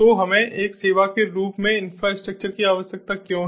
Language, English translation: Hindi, so why do we need infrastructure as a service